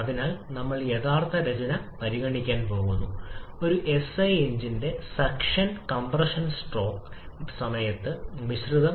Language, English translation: Malayalam, So, we are going to consider the true composition of the mixture during the suction and compression stroke of a SI engine